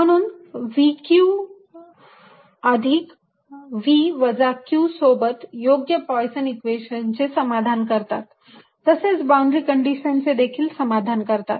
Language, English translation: Marathi, so the combination v, q plus v minus q satisfies the correct poisson's equation and the correct boundary condition